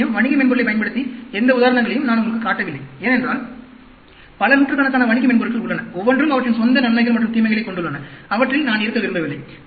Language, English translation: Tamil, Whereas, I did not show you any examples using commercial software, because one may have, there are so many hundreds of commercial softwares, each one having their own advantages and disadvantages, and I do not want to dwell on them